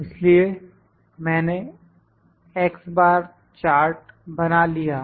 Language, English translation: Hindi, So, I have constructed the x bar chart